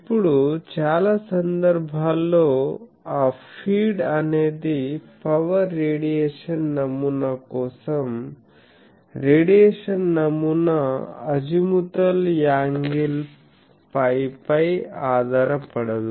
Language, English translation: Telugu, Now, if in many cases, the feed that the radiation pattern for that power radiation pattern for that does not have a dependence on the azimuthal angle phi